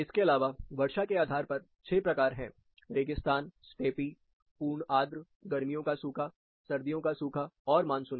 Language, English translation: Hindi, Apart from this, based on precipitation, there are 6 types, dessert, steppe, full humid, summer dry, winter dry, and monsoonal